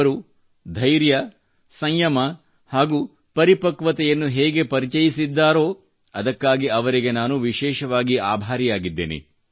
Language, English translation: Kannada, I am particularly grateful to them for the patience, restraint and maturity shown by them